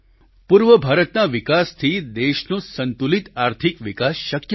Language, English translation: Gujarati, It is only the development of the eastern region that can lead to a balanced economic development of the country